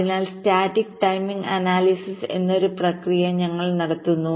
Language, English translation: Malayalam, so we perform a process called static timing analysis